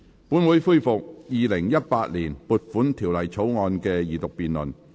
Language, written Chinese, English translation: Cantonese, 本會恢復《2018年撥款條例草案》的二讀辯論。, This Council resumes the Second Reading debate on the Appropriation Bill 2018